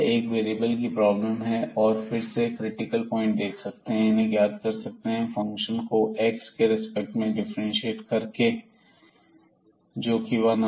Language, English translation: Hindi, So, this is a 1 variable problem and we can look again for the critical point were just by differentiating this function with respect to x so which comes to be at x is equal to 1 there might be a point of local maximum or minimum